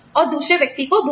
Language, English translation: Hindi, And, the boot to another person